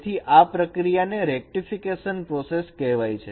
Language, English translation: Gujarati, So this process is this called rectification process